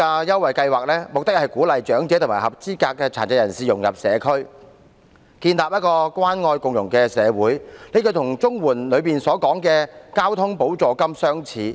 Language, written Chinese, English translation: Cantonese, 優惠計劃的目的，是鼓勵長者及合資格殘疾人士融入社區，藉以建立關愛共融的社會，這與綜援計劃下的交通補助金的目的相似。, The Schemes objective is to encourage elderly people and eligible persons with disabilities to integrate into the community and in turn build up a caring and inclusive society . Its objective is similar to that of the Transport Supplement under the CSSA Scheme